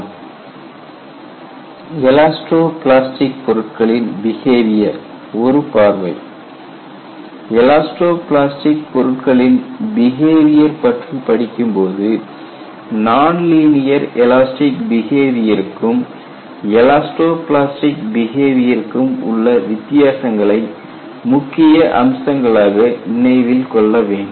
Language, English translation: Tamil, And one of the very important aspects that you will have to keep in mind is when you have an elasto plastic material behavior, you will have to realize, there is a difference between non linear elastic behavior and elasto plastic behavior